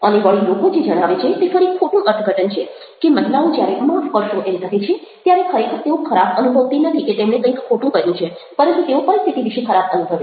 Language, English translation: Gujarati, and again, another thing which people say is misinterpreted: his women saying sorry, which doesnt really mean that they feel bad about having done something wrong, but they feel bad about the situation